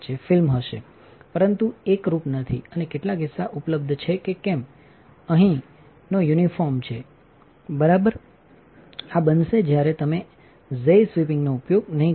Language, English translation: Gujarati, Film will be there, but it not be uniform and some chunks are available why because here the is non uniform all right this will happen when you do not use the xy sweeping